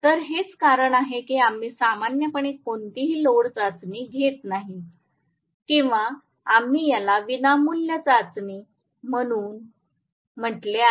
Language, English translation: Marathi, So, that is the reason why we conduct normally no load test or we also called it as free running test